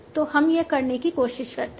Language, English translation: Hindi, So let us try to do this